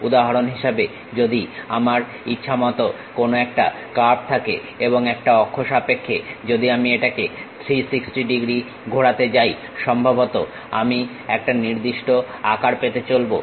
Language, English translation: Bengali, For example, if I have some arbitrary curve and about an axis if I am going to revolve it by 360 degrees, perhaps I might be going to get one particular shape